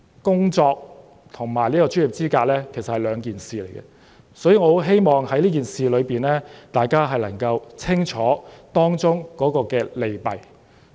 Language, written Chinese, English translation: Cantonese, 工作跟專業資格是兩碼子事，所以我希望大家能夠弄清這件事的利弊。, Work and professional qualification are two different things so I hope that Members can weigh the pros and cons of this proposal